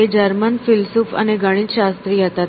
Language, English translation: Gujarati, So, he was a German philosopher and a mathematician